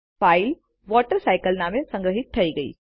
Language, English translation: Gujarati, The file is saved as WaterCycle